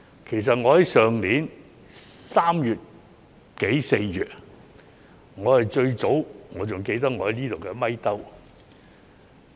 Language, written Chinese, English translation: Cantonese, 事實上，去年3月、4月時，我是最早提出的一位。, In fact I was the first one to make this point in March or April last year